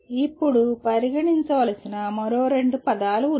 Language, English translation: Telugu, Now there are two other words that are of concern